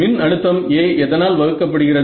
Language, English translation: Tamil, So, voltage A divided by what